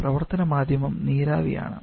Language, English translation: Malayalam, Our working medium is a vapour